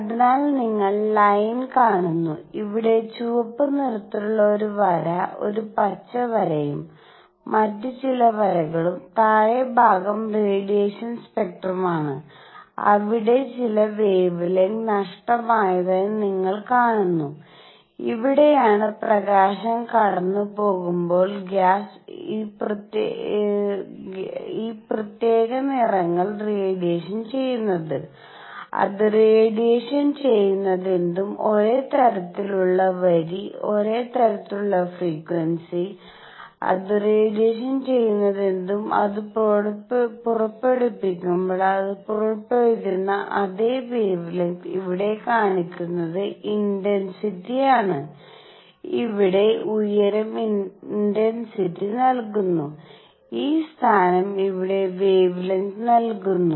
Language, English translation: Malayalam, So, you see line; a line at red here, a green line and some other lines, the lower portion is the absorption spectrum where you see that certain wavelengths are missing and this is where the gas when light is passing through it has absorbed these particular colors; whatever it absorbs, the same kind of line same kind of frequency, whatever it absorbs, same wavelength it emits when it is emitting and what this shows here is the intensity, the height here gives intensity and this position here the position here gives wavelength